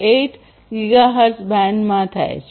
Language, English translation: Gujarati, 484 gigahertz band